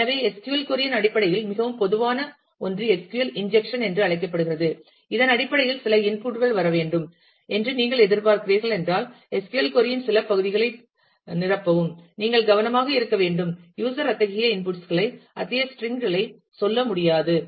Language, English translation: Tamil, So, one that is very common in terms of SQL query is known as a SQL injection where, based on I mean there is if you are expecting some inputs to come ah, and fill up certain parts of the SQL query then, you will have to be careful that, user should not be able to give such input say such strings